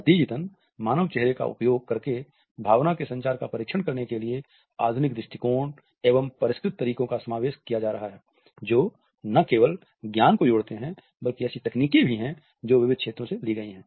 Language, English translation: Hindi, As a result, the modern approaches to an examination of emotion communication using human face are characterized by increasingly sophisticated methods that combine not only the knowledge, but also the techniques which have been imported from diverse feels